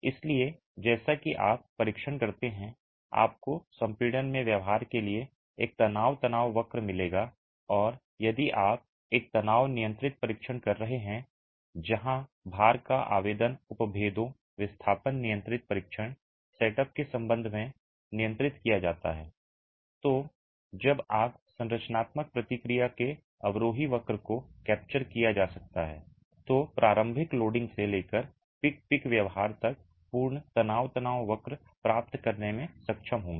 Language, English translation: Hindi, So, as you conduct the test, you would get a stress strain curve for the behavior and compression and if you are carrying out a strain control test where the application of load is controlled in terms of strains displacement controlled test setup then you would be able to get the complete stress strain curve from initial loading to peak to post peak behavior when the descending curve of the structural response can be captured